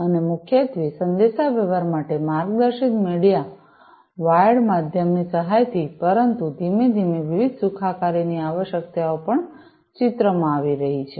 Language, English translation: Gujarati, And, with the help of guided media wired medium for communication primarily, but gradually you know the different wellness requirements are also coming into picture